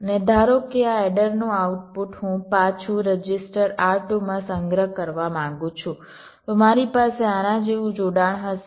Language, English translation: Gujarati, and suppose the output of this adder i want to store back end register r two